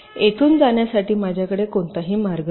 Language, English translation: Marathi, i do not have any path to to take from here to here